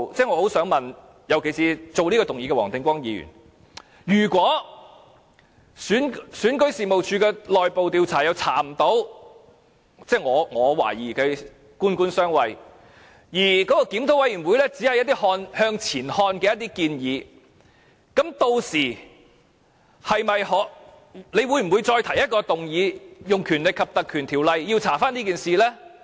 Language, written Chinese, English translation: Cantonese, 我很想問，尤其是提出這項議案的黃定光議員，如果選舉事務處的內部調查沒有甚麼結果——我懷疑是"官官相衞"——而檢討委員會只提出一些向前看的建議，屆時他會否再提出議案，用《立法會條例》調查這件事呢？, We want to ask a question and this question is especially for Mr WONG Ting - kwong . If the internal investigation of REO does not yield any results that are worth mentioning―for reasons of government officials are friends of each other―and the review committee only proposes some forward - looking recommendations will he propose another motion on invoking the Legislative Council Ordinance to investigate the incident?